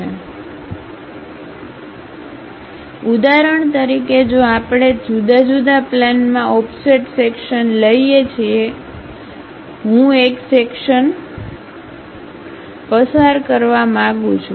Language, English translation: Gujarati, So, for example, if we are taking offset sections at different planes; for example, I want to pass a section goes, goes, goes, goes